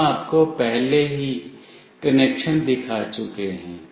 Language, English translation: Hindi, We have already shown you the connection